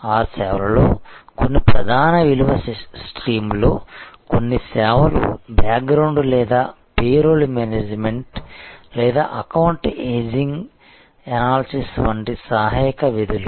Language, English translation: Telugu, Some of those services are part of the main value stream some of the services are sort of background or auxiliary tasks like payroll management or account ageing analysis and so on